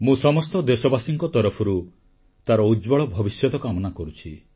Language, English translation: Odia, On behalf of all countrymen, I wish her a bright future